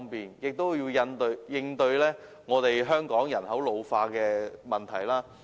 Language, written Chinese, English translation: Cantonese, 此外，政府亦應應對香港人口老化的問題。, In addition the Government should also cope with the problem of population ageing in Hong Kong